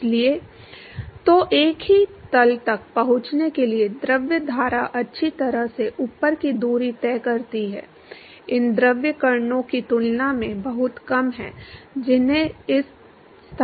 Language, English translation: Hindi, So, the distance that the fluid stream well above covers in order to reach the same plane is much smaller than these fluid particles that has to reach this location